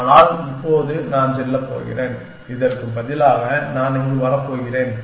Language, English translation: Tamil, But, now I am going to go, instead of this I am going to come here